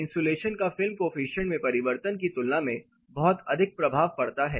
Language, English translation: Hindi, Insulation has very high impact compare to the change in film coefficient